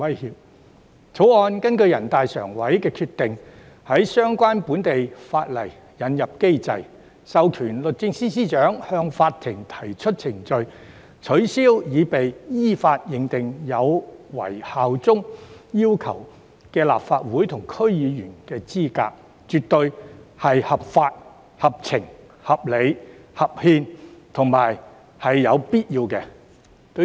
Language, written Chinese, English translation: Cantonese, 《條例草案》根據人大常委會的決定，在相關本地法例引入機制，授權律政司司長向法庭提出法律程序，取消經依法認定後有違效忠要求的立法會及區議會議員資格，絕對是合法、合情、合理、合憲及有必要。, The Bill introduces in accordance with the decision of NPCSC a mechanism in the local legislation to empower the Secretary for Justice SJ to bring legal proceedings and disqualify Legislative Council Members or DC members from holding office on the ground of breach of requirements on bearing allegiance . This is absolutely lawful fair reasonable constitutional and necessary